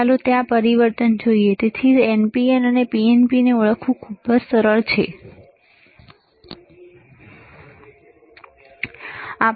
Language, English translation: Gujarati, Let us see, there is a change; So, easy to identify whether it is NPN or PNP, all right